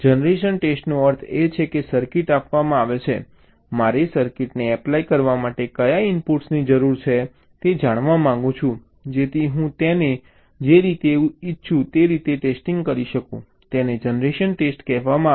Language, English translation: Gujarati, test generation means, given a circuit, i want to find out what are the inputs i need to apply to the circuit so that i can test it in the way i want